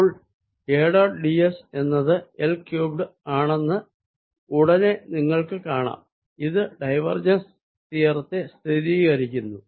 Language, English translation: Malayalam, so you can see immediately that a dot d s is indeed l cubed and that confirms this divergence theorem